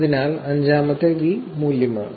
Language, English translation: Malayalam, So, the 5th V is actually value